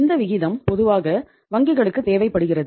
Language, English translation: Tamil, This ratio is normally required by the banks